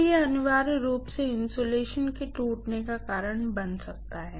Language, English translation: Hindi, So, that is essentially going to cause rupturing of the insulation